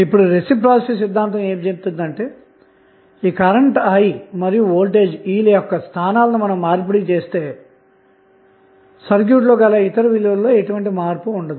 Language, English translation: Telugu, So, what reciprocity theorem says that if you replace if you exchange the locations of this current and voltage source, E, then the other values are not going to change in the circuit